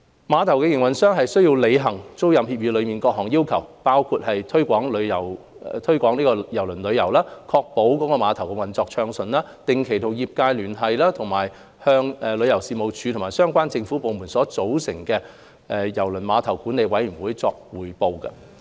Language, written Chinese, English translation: Cantonese, 碼頭營運商須履行租賃協議內各項要求，包括推廣郵輪旅遊、確保碼頭運作暢順、定期與業界聯繫及定期向由旅遊事務署及相關政府部門組成的郵輪碼頭管理委員會匯報。, The terminal operator is required to comply with various requirements as set out in the tenancy agreement eg . promote cruise tourism ensure smooth operation of the terminal engage regularly with the trade and report regularly to the relevant terminal management committee comprising representatives from the Tourism Commission and relevant Government departments